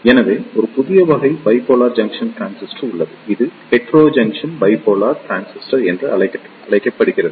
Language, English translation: Tamil, So, there is a new type of Bipolar Junction Transistor that is known as Heterojunction Bipolar Transistor